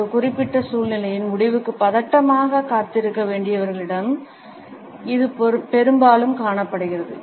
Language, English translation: Tamil, It can often be observed in those people who have to tensely await the outcome of a particular situation